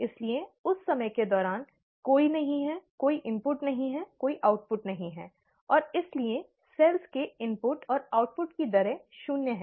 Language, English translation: Hindi, Therefore during that time of interest, there is no, there are no inputs, there are no outputs, and therefore the rates of input and output of cells is zero